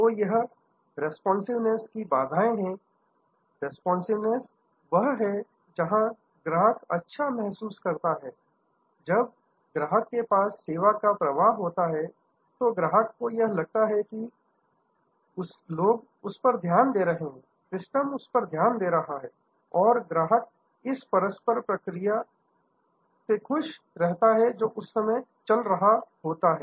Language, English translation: Hindi, So, these are barriers to responsiveness, responsiveness is where the customer feels good, when the customer is in the service flow, the customers feels that people are paying attention, the system is paying attention and the customer is happy with the interaction; that is going on